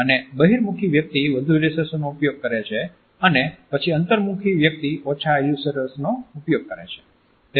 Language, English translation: Gujarati, And extrovert person uses more illustrators and then an introvert person uses less illustrators